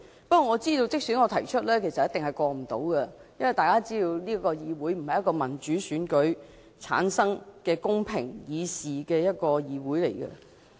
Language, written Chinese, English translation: Cantonese, 不過，我知道即使我提出修訂議案，其實也一定不能通過，因為大家也知道這個議會不是一個由民主選舉產生、公平議事的議會。, Having said that I know that actually the passage of my amending motion is definitely impossible because Members are aware that this legislature is not returned through democratic elections and is ripped of a fair platform for deliberating policies